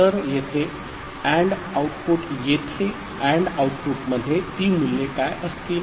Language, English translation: Marathi, So, the AND output, the AND output over here, what will be those values